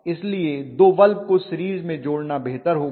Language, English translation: Hindi, So it is better to put two of them in series